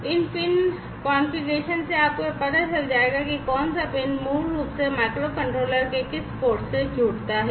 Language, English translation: Hindi, And from these pin configurations you will come to know, which pin basically connects to which port right, which port of the microcontroller